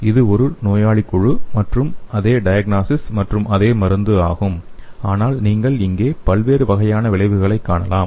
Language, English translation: Tamil, So this is a patient group and same diagnosis and same prescription but you can see here different kind of effects